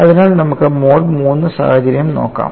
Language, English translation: Malayalam, So, let us look at the mode 3 situation